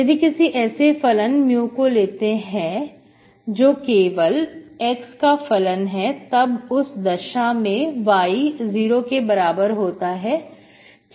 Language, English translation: Hindi, If you are looking for some function mu that is only function of x, then mu y is 0, okay